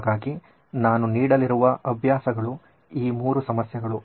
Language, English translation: Kannada, So the exercises that I am going to give are 3 problems